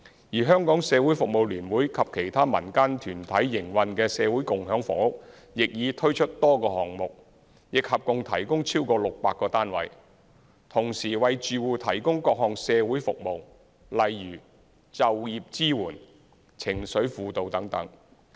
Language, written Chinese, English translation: Cantonese, 而社聯及其他民間團體營運的社會共享房屋亦已推出多個項目，亦合共提供超過600個單位，同時為住戶提供各項社會服務，例如就業支援、情緒輔導等。, Besides a number of projects with the provision of over 600 units have been introduced under the Community Housing Movement operated by HKCSS and other NGOs and they also provide various social services such as employment support and emotional counselling to the households